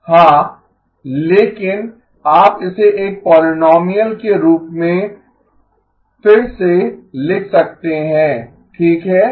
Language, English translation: Hindi, Yeah, but you can rewrite it as a polynomial right